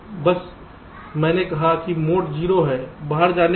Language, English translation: Hindi, just, i have said mode is zero, in goes to out